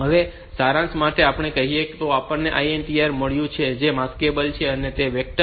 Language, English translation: Gujarati, To summarize: we have got this INTR is which is maskable and it is not vectored 5